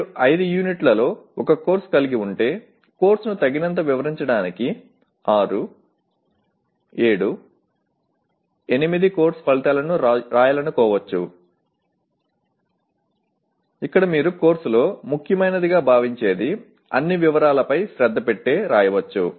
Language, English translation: Telugu, So if you have a course with 5 units you may want to write 6, 7, 8 course outcomes to describe the course adequately where adequately means paying attention to all the details you consider important in the course